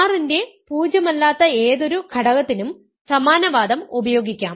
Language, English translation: Malayalam, The same argument works for any non zero element of R right